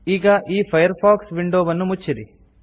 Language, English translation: Kannada, Now close this Firefox window